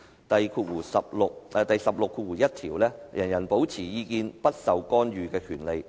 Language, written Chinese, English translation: Cantonese, "第十六條第一款訂明："人人有保持意見不受干預之權利。, Article 161 stipulates Everyone shall have the right to hold opinions without interference